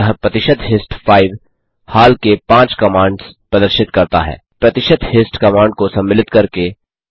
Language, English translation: Hindi, Hence percentage hist 5 displays the recent 5 commands, inclusive of the percentage hist command that we gave